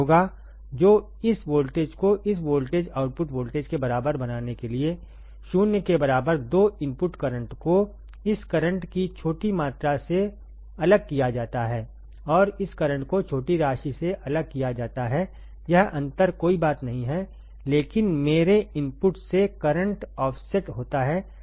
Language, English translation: Hindi, So, make this voltage 0 to make this voltage output voltage equal to 0 right the 2 input currents are made to differ by small amount this current and this current are made to different by small amount that difference is nothing, but my input offset current difference is nothing, but input offset